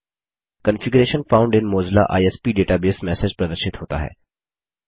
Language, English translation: Hindi, The message Configuration found in Mozilla ISP database appears